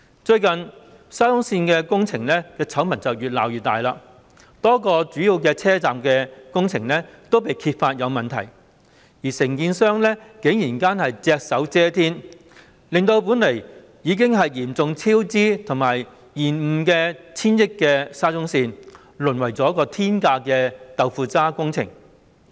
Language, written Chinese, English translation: Cantonese, 最近，沙中線工程的醜聞越鬧越大，多個主要車站的工程均被揭發有問題，而承建商竟然隻手遮天，令本來已經嚴重超支和延誤的 1,000 億元沙中線淪為天價的"豆腐渣"工程。, While a number of major stations were discovered to have problems with the works the contractor actually single - handedly covered them up so that the 100 billion SCL project which is already blighted by serious cost overruns and delays has degenerated into an astronomically priced jerry - built project